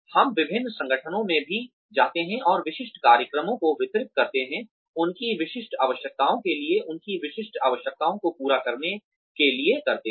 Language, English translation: Hindi, We also go to different organizations, and deliver specialized programs, for their specific needs, to cater to their specific needs